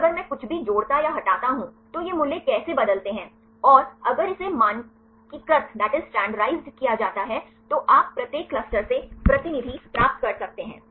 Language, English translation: Hindi, Then if I add or remove anything, how these value changes and if it is standardized then you can get the representatives from each cluster